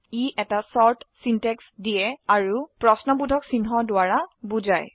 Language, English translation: Assamese, It Provides a short syntax and is denoted by a question mark